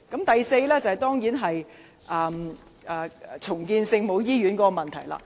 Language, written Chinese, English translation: Cantonese, 第四個離譜之處，當然是重建聖母醫院的問題。, The fourth outrageous point is certainly the redevelopment of the Our Lady of Maryknoll Hospital